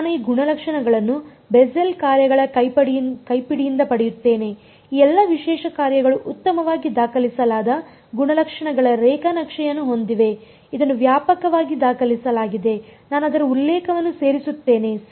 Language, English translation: Kannada, I get these properties from the handbook of Bessel functions this is extensively documented all these special functions have very well documented properties graphs and all I will include a reference to it right